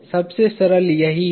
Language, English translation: Hindi, The simplest one is this